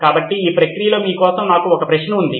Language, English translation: Telugu, So in this process I have a question for you